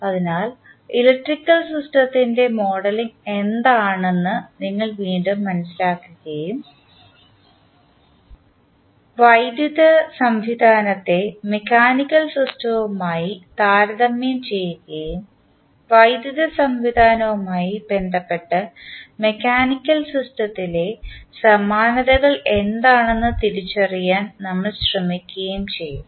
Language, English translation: Malayalam, So, we will recap that what is the modeling of electrical system and then we will compare the electrical system with the mechanical system and we will try to identify what are the analogies in the mechanical system with respect to the electrical system